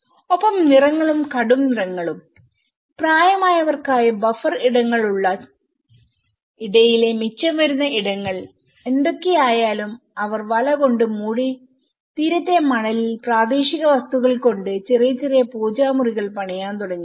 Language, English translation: Malayalam, And the colours, the bright colours and for elderly people whatever the leftover spaces in between the buffer spaces, they covered with the net and they put the see shore sand with the small vernacular materials they started constructing some small prayer rooms